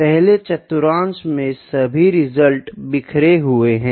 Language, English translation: Hindi, In the first quadrant you can see the results are all scattered